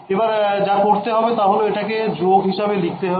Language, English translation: Bengali, So, what I will do is I am going to write this as a plus